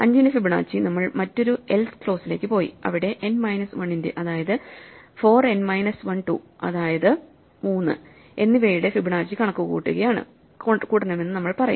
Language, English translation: Malayalam, So, Fibonacci of 5, we will go into the else clause and say we need to compute Fibonacci of n minus 1 namely 4 and n minus 2 namely 3